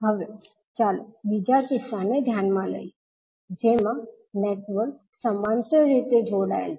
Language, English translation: Gujarati, Now, let us consider the second case in which the network is connected in parallel